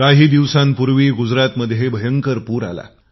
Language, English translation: Marathi, Gujarat saw devastating floods recently